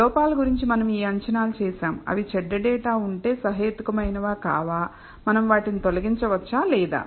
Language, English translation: Telugu, These assumptions what we are made about the errors whether they are reasonable or not if there are bad data, can be remove them or not